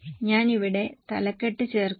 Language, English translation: Malayalam, I will just add the heading here